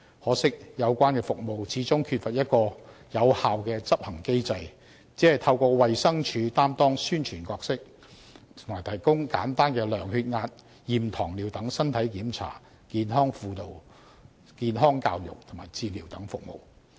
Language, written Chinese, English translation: Cantonese, 可惜的是，有關服務始終缺乏有效的執行機制，只透過衞生署擔當宣傳角色，並提供簡單的量血壓、驗糖尿等身體檢查、健康輔導、健康教育及治療等服務。, Sadly the relevant services lack an effective implementation mechanism . Only the Department of Health has assumed the promotion role and provided simple body checks and also services including health counselling health education and disease treatment